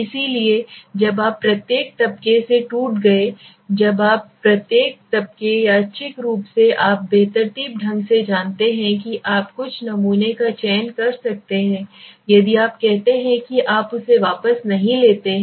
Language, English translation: Hindi, So when you pull up the strata when you broke up into each strata and from each strata you randomly you randomly you know select few samples right if you respondents you can say whatever